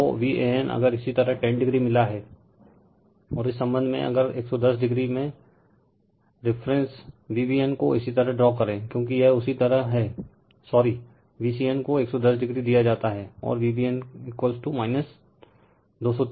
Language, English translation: Hindi, So, V a n if you got 10 degree, and with respect to that if you draw the reference V b n in 110 degree, because it is your what we call sorry V c n is given 110 degree, and V b n is minus 230 degree